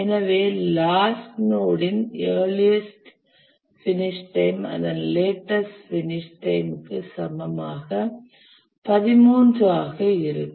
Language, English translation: Tamil, So, for the last node, the earliest finish time is equal to the latest finish time which is equal to 13